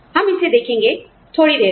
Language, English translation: Hindi, We will deal with this, you know, a little later